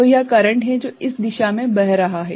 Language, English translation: Hindi, So, this is the current that is going in this direction right